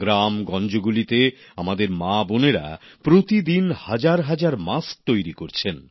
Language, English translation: Bengali, In villages and small towns, our sisters and daughters are making thousands of masks on a daily basis